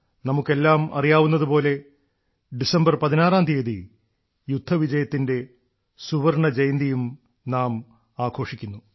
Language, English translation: Malayalam, All of us know that on the 16th of December, the country is also celebrating the golden jubilee of the 1971 War